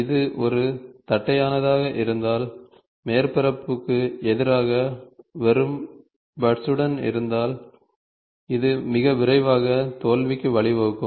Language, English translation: Tamil, If this is is a flat one, with just buts against the surface, then this will lead to a failure very faster